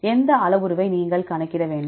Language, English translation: Tamil, Which parameter you have to calculate